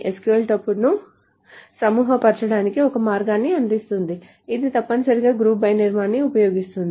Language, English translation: Telugu, The SQL offers a way of grouping the tuples which is essentially using the construct group by